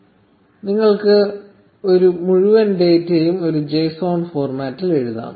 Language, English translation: Malayalam, And you get the entire data written in a JSON format